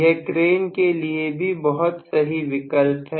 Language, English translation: Hindi, It is also good for cranes